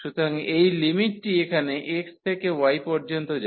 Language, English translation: Bengali, So, this limit here x goes from y to